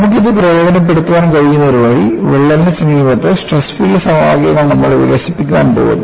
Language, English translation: Malayalam, So, the one way, what we could take advantage of this is, we are going to develop stress field equations in the vicinity of a crack